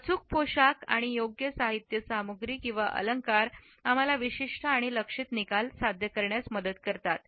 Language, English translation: Marathi, Correct outfit and appropriate accessories help us to elicit specific and targeted results